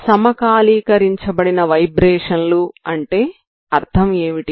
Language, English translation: Telugu, So what is a meaning of synchronized vibrations